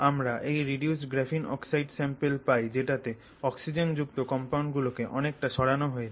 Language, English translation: Bengali, So, we get this reduced graphene oxide sample which is essentially graphene oxide with fair bit of these oxygen containing compounds removed